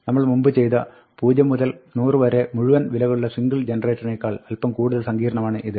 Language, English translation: Malayalam, it is a little bit more complicated than the one we did before, where we only had a single generator, all the values in range 0 to 100